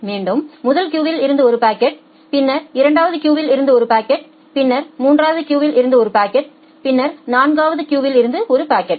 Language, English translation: Tamil, Then one packet from the first queue, one packet from the second queue, one packet from the third queue